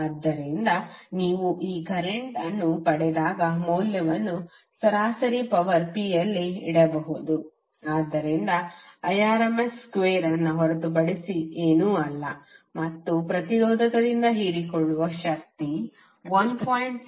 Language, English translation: Kannada, So when you get this current can simply put the value in the average power P that is nothing but Irms square of and you will get the power absorbed by the resistor that is 133